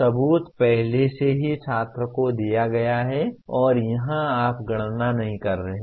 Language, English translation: Hindi, Proof is already given to the student and here you are not calculating